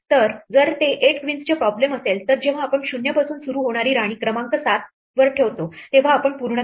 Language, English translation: Marathi, So, if it is an 8 queen problem then when we have put queen number 7 starting from 0 then we are done